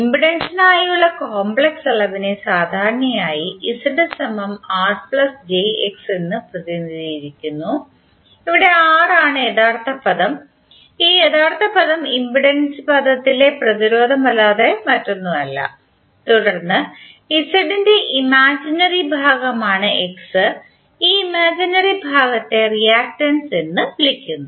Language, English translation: Malayalam, The complex quantity for impedance is generally represented as Z is equal to R plus j X, where R is the real term and this real term is nothing but the resistance in the impedance term and then X which is imaginary part of Z and this imaginary part is called reactance